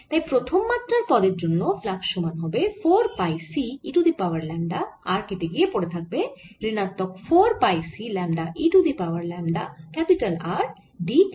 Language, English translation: Bengali, the flux is going to be equal to four pi c e raise to minus lambda r cancels, and i get minus four pi c lambda e raise to minus lambda r d r